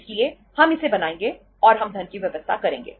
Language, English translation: Hindi, So we will make it and we will make the arrangement of the funds